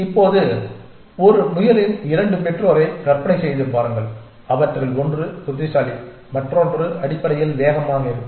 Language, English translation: Tamil, Now, imagine 2 parents of a rabbit; one of them is smart and the other one is fast essentially